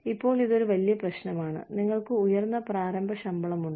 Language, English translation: Malayalam, Now, this is one big problem, you have higher starting salaries